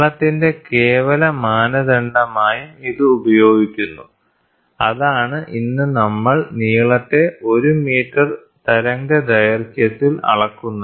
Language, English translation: Malayalam, And it is also used as absolute standard for length that is what we measure the length, 1 metre is measured in the wavelengths today